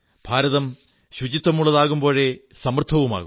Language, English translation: Malayalam, A clean and healthy India will spell a prosperous India also